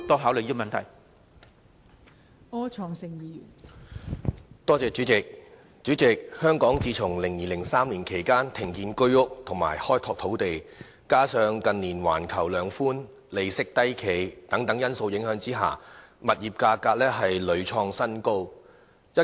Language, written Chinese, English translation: Cantonese, 代理主席，香港自從2002年、2003年左右停止興建居者有其屋計劃單位及開拓土地，加上近年出現環球量化寬鬆和利息低企等因素，致使物業價格屢創新高。, Deputy President since Hong Kong stopped building flats under the Home Ownership Scheme HOS and expanding land resources in around 2002 or 2003 and coupled with the factors such as global quantitative easing and low interest rates in recent years property prices have thus hit record high time and again